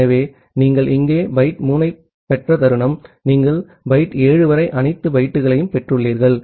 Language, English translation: Tamil, So, the moment you have received byte 3 here, you have basically received all the bytes up to byte 7